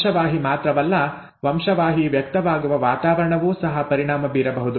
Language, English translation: Kannada, Not just the gene, the environment in which the gene is expressed could have an impact